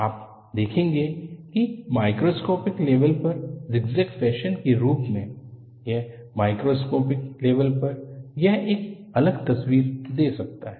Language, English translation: Hindi, You will see that, as zigzag fashion at a microscopic level; at a macroscopic level it may give a different picture